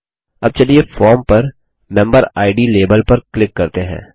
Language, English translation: Hindi, Now let us click on the MemberId label on the form